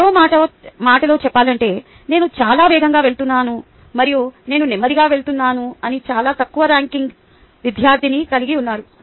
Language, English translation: Telugu, in other words, i had very high ranking students saying that i am going fast and i had very low ranking student saying that i am going slow